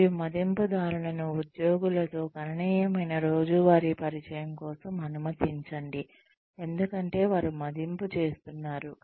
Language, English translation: Telugu, And, allow appraisers, substantial daily contact with the employees, they are evaluating